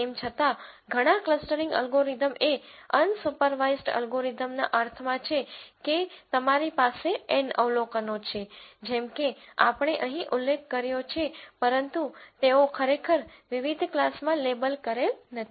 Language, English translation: Gujarati, However, many of the clustering algorithms are unsupervised algorithms in the sense that you have N observations as we mentioned here but they are not really labelled into different classes